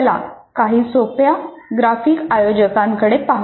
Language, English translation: Marathi, Now, let us look at some simple graphic organizer